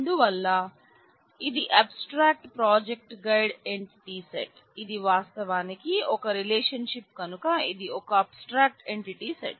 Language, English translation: Telugu, So, this is the abstract project guide entity set which is an abstract entity set because it is actually relationship